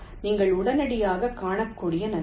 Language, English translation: Tamil, the advantage you can immediately see